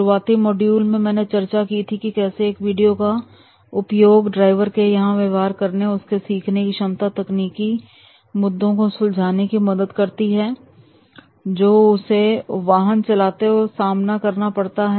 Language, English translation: Hindi, In early model I have discussed that is how video has been used for the driver's behavior and driver's learning and the technical issues while driving the vehicle